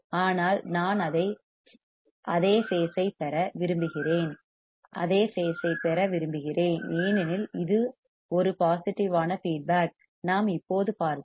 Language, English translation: Tamil, But here I want same phase here I want same phase because it is a positive feedback , we have just seen